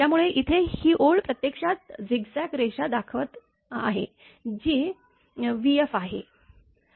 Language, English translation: Marathi, So, here it this, this line is showing actually zigzag line this one is v f